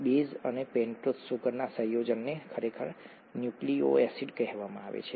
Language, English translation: Gujarati, The combination of the base and the pentose sugar is actually called a nucleoside